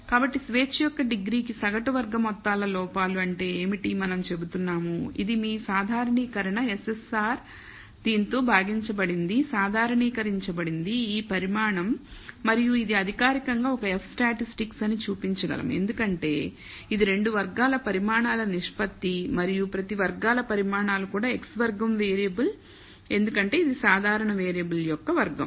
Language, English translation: Telugu, So, average sum squared errors per degree of freedom that is what we are saying, and that is your normalisation SSR divided by this normalised is this quantity and we can show formally that is an F statistic because it is a ratio of two squared quantities and each squared quantities is itself a chi squared variable because it is a square of a normal variable